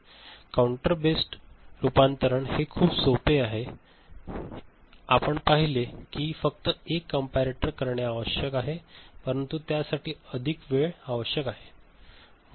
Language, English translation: Marathi, Counter based conversion is simple the basic one that we have seen, that only one comparator is required, but it requires more time